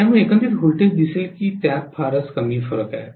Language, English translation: Marathi, So overall voltage will look as though it is having very little variation